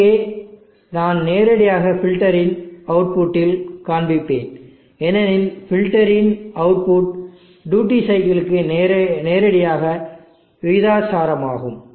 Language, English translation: Tamil, Here I will just show the directly at the filter output, because the filter output is directly proportional to the duty cycle